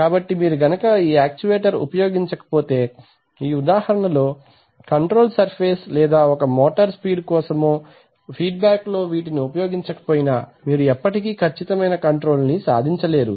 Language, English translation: Telugu, So unless you implement this actuator which is the control surface activity in this case, unless this or let us say the speed of a motor, unless you put these in a feedback you can never achieve that precision